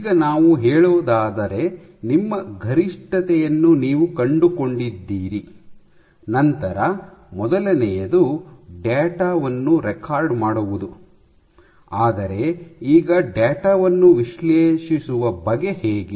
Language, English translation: Kannada, Let us say, find you got your peak right first thing is to record the data, but now it comes to analyzing the data